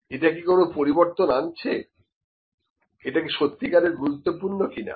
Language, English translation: Bengali, Is it bringing some change, actually is it significant or not